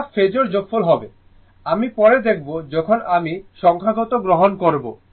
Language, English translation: Bengali, It will be phasor sum , we will see that later when we will take the numerical, right